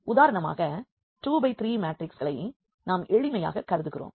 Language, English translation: Tamil, So, let us consider this 2 by 3 matrices for instance just for simplicity